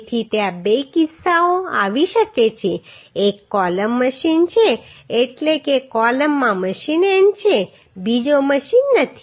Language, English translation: Gujarati, So there are two cases it may come one is the columns are machined means columns have machined ends another is not machined ok